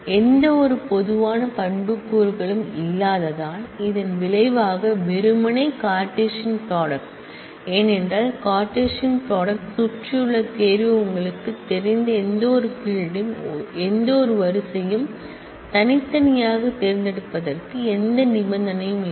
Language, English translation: Tamil, Which do not have any common attribute then the result is merely the Cartesian product because the selection around the Cartesian product has no condition to select any of the you know any of the fields any of the rows separately